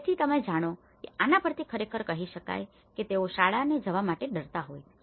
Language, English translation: Gujarati, So, this actually says that you know they are afraid to go to school